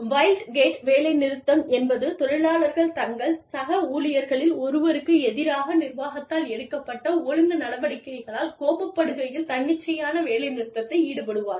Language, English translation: Tamil, Wildcat strike refers to, spontaneous work stoppage, when workers are angered by, disciplinary action, taken by management, against one of their colleagues